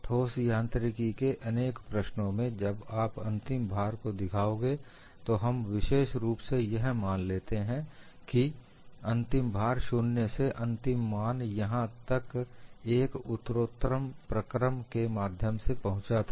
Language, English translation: Hindi, In many problems in solid machines, when you show a final load we implicitly assume that the final load was reached through a gradual process from 0 to the final value